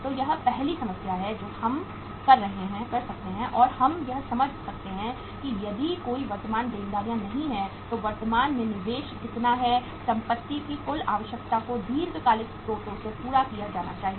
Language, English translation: Hindi, So this is the first problem we could do and we could understand that if no current liabilities are there then how much is the investment in the current assets total requirement has to be fulfilled from the long term sources